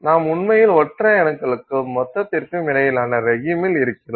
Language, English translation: Tamil, Then you are actually in a regime that is between single atoms and the bulk